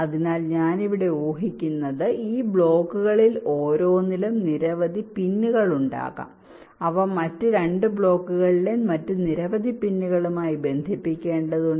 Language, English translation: Malayalam, so what i here assume is that in each of these blocks there can be several pins which need to be connected to several other pins in other two blocks